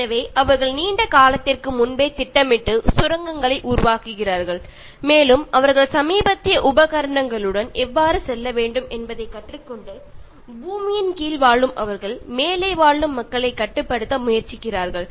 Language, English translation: Tamil, So, they planned long before and they are making tunnels and they learn how to move with latest equipment, and they live under the earth and they try to control people who are living above